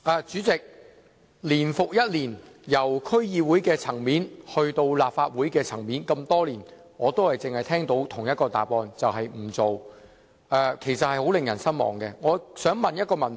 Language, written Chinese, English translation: Cantonese, 主席，年復一年，由區議會層面到立法會層面，這麼多年來，我只是聽到政府的同一個答覆，便是不處理，令人相當失望。, President year after year from the level of DCs to that of the Legislative Council for so many years I have only received the same reply from the Government which is no handling . It is very disappointing